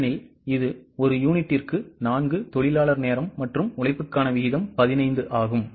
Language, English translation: Tamil, Because it is 4 labour hours per unit and the rate per labour is 15